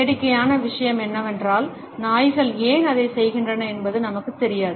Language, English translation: Tamil, And the funny thing is we do not even know for sure why dogs do it